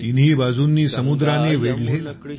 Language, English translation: Marathi, Surrounded by seas on three sides,